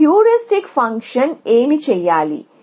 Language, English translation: Telugu, What should my heuristic function do